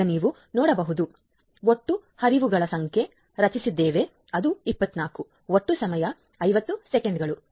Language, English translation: Kannada, So, we have generated the total number of flows which is 24, total time is 50 seconds